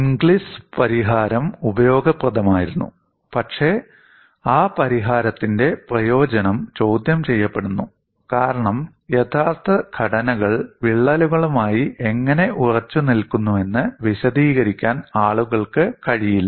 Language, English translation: Malayalam, So, that is a paradox the Inglis solution was useful, but utility of that solution is question, because people are unable to explain how actual structures reminds solid with cracks